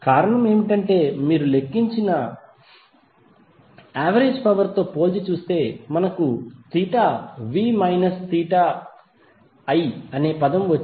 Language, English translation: Telugu, The reason is that if you compare it with the average power we calculated we got the term of theta v minus theta i